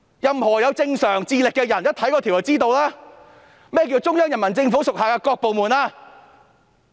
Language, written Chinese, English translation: Cantonese, 任何有正常智力的人一看該條條文也知道，何謂"中央人民政府所屬各部門"？, Anyone of average intelligence would understand the meaning of the departments of the Central Peoples Government at reading the provision . After 22 years they slap their own faces